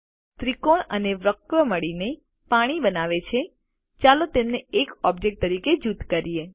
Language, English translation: Gujarati, The triangle and the curve together create water, lets group them as a single object